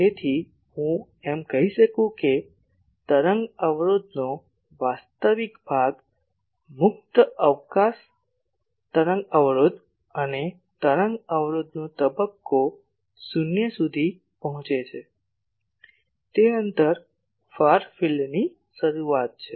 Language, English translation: Gujarati, So, I can say that the distance where the real part of wave impedance approaches the free space wave impedance and phase of wave impedance approaches 0 that is the start of a far field